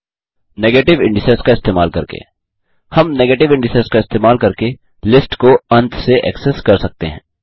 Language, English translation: Hindi, Using negative indices, we can access the list from the end using negative indices